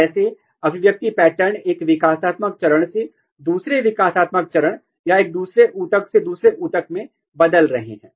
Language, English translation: Hindi, How the expression patterns are changing from one developmental stage to another developmental stage or one tissue to another tissue